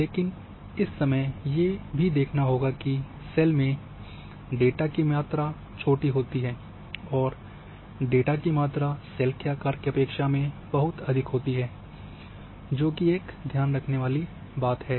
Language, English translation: Hindi, But the same time the data volume is smaller the cells, the data volume would be very high relative to the cell size remain like this, so this one is to keep in mind